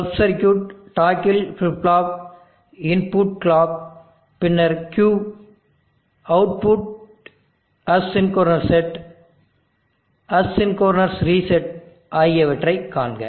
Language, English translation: Tamil, See sub circuit toggle flip flop, the inputs clock, then Q, output AC could not set, AC could not reset